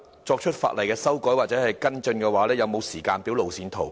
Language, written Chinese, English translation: Cantonese, 作出法例修改或跟進的配合行動，是否有時間表、路線圖？, Is there any timetable and roadmap for introducing legislative amendments or taking the necessary follow - up actions?